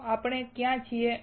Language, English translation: Gujarati, So, where are we